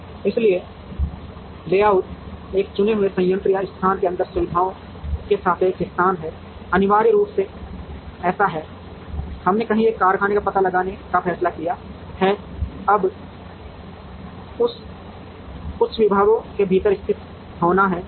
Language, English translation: Hindi, So, layout is relative location of facilities inside a chosen plant or location, essentially it is like, we have decided to locate a factory somewhere, now within that certain departments have to be located